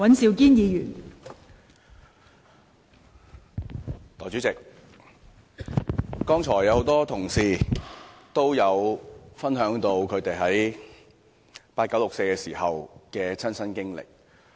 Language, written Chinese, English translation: Cantonese, 代理主席，很多同事剛才分享了他們在八九六四時的親身經歷。, Deputy President many Honourable colleagues have shared their personal experiences of the 4 June incident in 1989